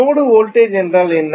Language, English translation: Tamil, What is the node voltage